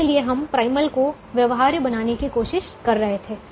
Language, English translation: Hindi, so we were trying to make the primal feasible